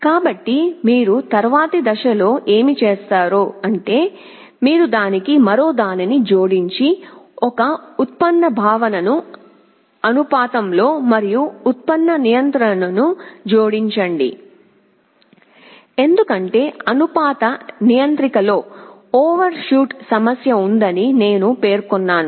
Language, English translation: Telugu, So, what you do in the next step is that you add another flavor to it, add a derivative concept proportional and derivative controller, because in proportional controller I mentioned that there was the problem of overshoot